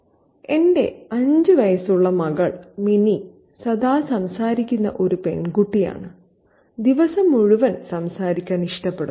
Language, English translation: Malayalam, My 5 year old daughter, Minnie, is a chatty girl and likes to talk all day long